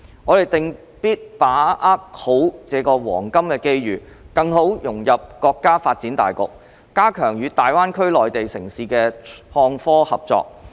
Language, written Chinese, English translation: Cantonese, 我們定必把握好這個黃金機遇，更好融入國家發展大局，加強與大灣區內地城市的創科合作。, We must seize this golden opportunity to better integrate with the overall development of the country and step up the IT collaboration with the Mainland cities of GBA